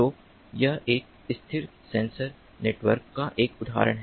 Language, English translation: Hindi, so this is an example of a stationary sensor network